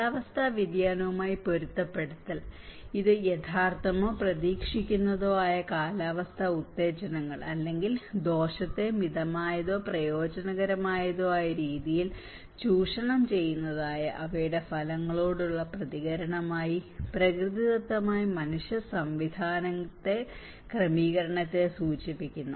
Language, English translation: Malayalam, And adaptation to climate change; it refers to adjustment in natural human systems in response to actual or expected climatic stimuli or their effects which moderates harm or exploits beneficial opportunities